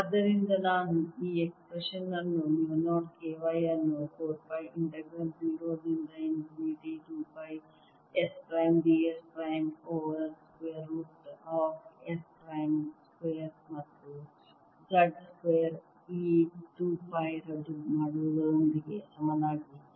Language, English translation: Kannada, with this i get two and therefore the expression becomes mu naught k y over two integral zero to infinity s prime d s prime over s prime square plus z square square root, and this is very easy to calculate